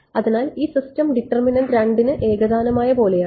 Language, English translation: Malayalam, So, this system is like 2 homogeneous for determinant